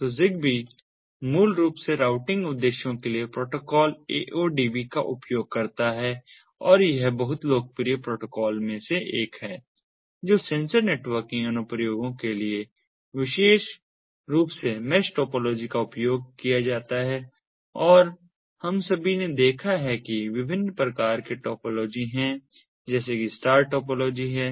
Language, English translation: Hindi, so zigbee basically uses the protocol aodv for routing purposes and it is one of the very popular protocols that is used for ah, sensor networking applications, ah, particularly using ah, the mesh topology and we have all seen that there are different types of topologies, that there star topology, cluster tree topology, mesh topology and so on